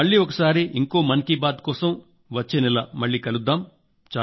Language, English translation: Telugu, We will meet again for the next Mann Ki Baat next month